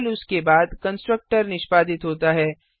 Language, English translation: Hindi, Only after that the constructor is executed